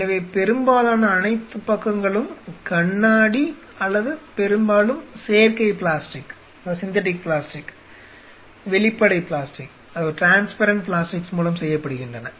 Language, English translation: Tamil, So, most all the sides are off, glass or mostly you know synthetic plastic transparent plastics